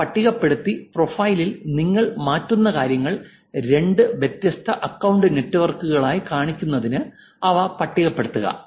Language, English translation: Malayalam, List down these and list down things that you will change in the profile to make them look two different accounts also